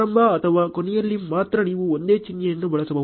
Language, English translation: Kannada, Only in the start or end you may use a single symbol ok